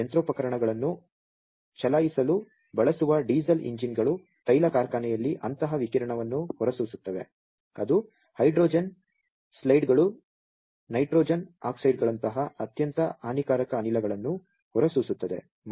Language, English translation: Kannada, There the diesel engines that are used to run the machineries, there in the oil factory those emits such radiation the exerts that are emitted contents very harmful gases like hydrogen sulphides, nitrogen oxides, all those things